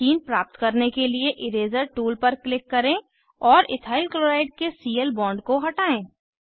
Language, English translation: Hindi, To obtain Ethene, click on Eraser tool and delete Cl bond of Ethyl chloride